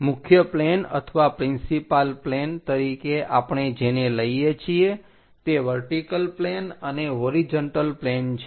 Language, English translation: Gujarati, The principle planes or the main planes what we are referring are vertical planes and horizontal planes